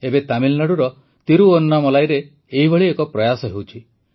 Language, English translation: Odia, Now one such effort is underway at Thiruvannamalai, Tamilnadu